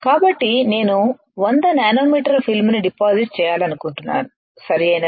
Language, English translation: Telugu, So, this is suppose I want to deposit 100 nanometer of film, right